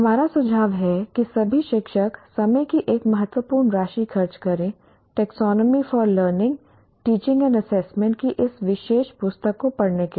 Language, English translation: Hindi, We suggest all teachers spend a significant amount of time reading this particular book, Taxonomy for learning, teaching and assessment